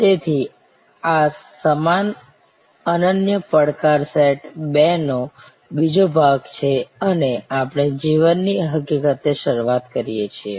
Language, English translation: Gujarati, So, this is the second part of that same unique challenge set two and we start with the fact of life